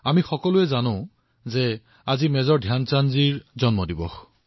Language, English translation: Assamese, All of us know that today is the birth anniversary of Major Dhyanchand ji